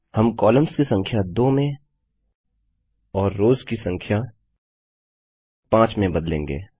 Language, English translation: Hindi, We will change the Number of columns to 2 and the Number of rows to 5